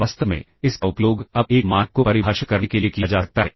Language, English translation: Hindi, In fact, this can now be used to define a norm